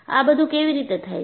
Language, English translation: Gujarati, And, how does this do